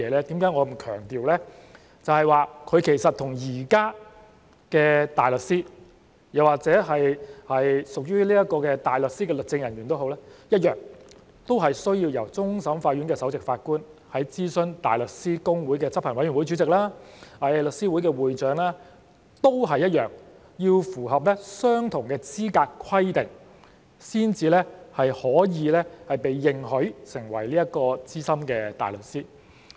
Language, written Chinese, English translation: Cantonese, 就是說這些人士其實與現在的大律師，又或屬於大律師的律政人員一樣，同樣需要由終審法院首席法官在諮詢香港大律師公會的執行委員會主席及香港律師會會長後，並要符合相同的資格規定，才可被認許成為資深大律師。, It means that these persons in the same manner as existing barristers or legal officers who are barristers will be admitted as SC only after the Chief Justice has consulted the chairman of the Council of the Hong Kong Bar Association and the president of The Law Society of Hong Kong and after satisfying the same eligibility requirements